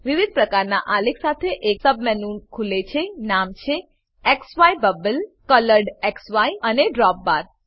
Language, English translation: Gujarati, A submenu opens with various types of charts, namely, XY, Bubble, ColoredXY and DropBar